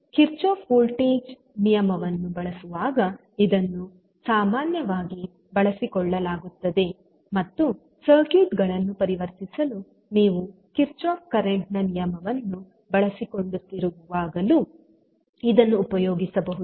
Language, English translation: Kannada, This would be usually utilized when you are using the Kirchhoff voltage law and this can be utilized when you are utilizing Kirchhoff current law for converting the circuits